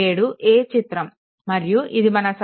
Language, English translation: Telugu, 7 a 7 a and this is circuit 7 b